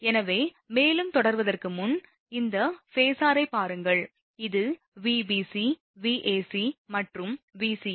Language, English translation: Tamil, So, before proceeding further, look at this phasor suppose this is your Vbc this is Vab and this is Vca